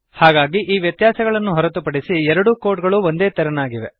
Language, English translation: Kannada, So, apart from these differences, the two codes are very similar